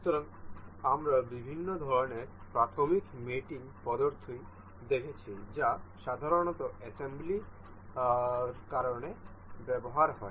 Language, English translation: Bengali, So, we have seen different kinds of elementary mating methods for that generally used in assembly